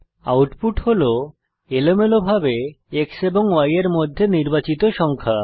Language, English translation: Bengali, Output is randomly chosen number between X and Y